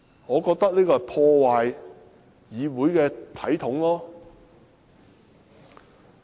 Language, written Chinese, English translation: Cantonese, 我覺得這破壞了議會的體統。, To me this will ruin the convention of this Council